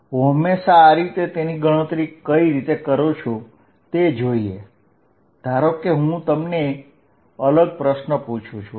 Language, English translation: Gujarati, Is this how I am always going to calculate it, suppose I ask you different question